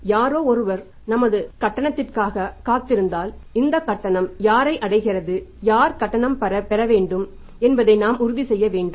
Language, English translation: Tamil, If somebody is if somebody is waiting for our payment that we must make sure that this payment reaches to the who has to receive the payment